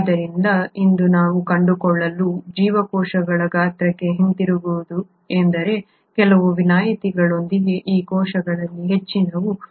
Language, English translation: Kannada, So, coming back to the size of the cells what we find as of today is that most of these cells with few exceptions, have a size in the range of 0